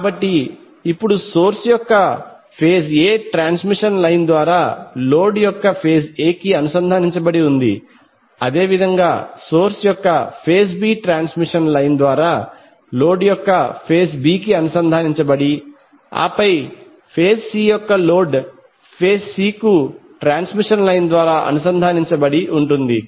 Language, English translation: Telugu, So now the phase A of the source is connected to phase A of the load through transmission line, similarly phase B of the source is connected to phase B of the load through the transmission line and then phase C of the load is connected to phase C of the source through the transmission line